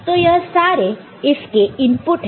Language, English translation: Hindi, So, these are the corresponding inputs